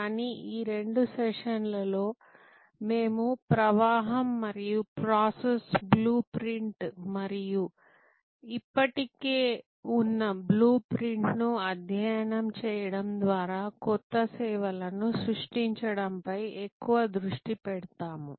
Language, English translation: Telugu, But, in this couple of session we will more focus on the flow and a process blue print and creation of new service from studying, existing blue prints